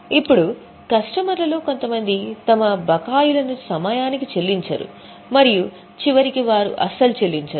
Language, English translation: Telugu, Now, there is a likelihood that few of our customers don't pay their dues on time and eventually they don't pay at all